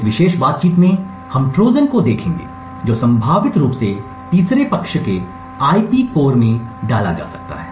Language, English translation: Hindi, In this particular talk we will be looking at Trojans that could potentially inserted in third party IP cores